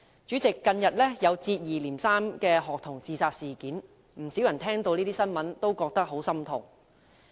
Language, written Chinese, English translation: Cantonese, 主席，近日接二連三發生學童自殺事件，不少人聽到這些新聞也感到十分心痛。, President recently student suicides occurred one after another . Many people will feel sad at hearing the news